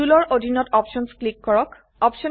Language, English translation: Assamese, Under Tools, click on Options